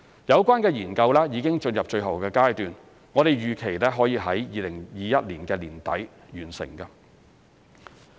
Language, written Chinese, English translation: Cantonese, 有關研究已進入最後階段，我們預期可以在2021年年底完成。, The Study has now entered the final stage and is expected to be completed by the end of 2021